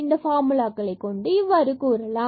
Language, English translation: Tamil, So, we will derive this formula now